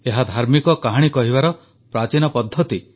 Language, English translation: Odia, This is an ancient form of religious storytelling